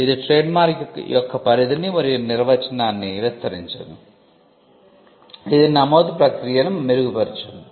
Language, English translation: Telugu, It enlarged the scope and definition of trademark; it improved the process of registration